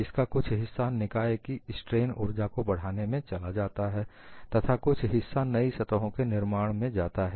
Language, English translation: Hindi, Part of it went in increasing the strain energy of the system and part of it came for formation of two new surfaces